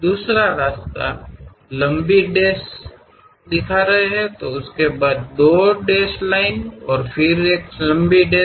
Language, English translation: Hindi, The other way is showing long dash followed by two dashed lines and again long dash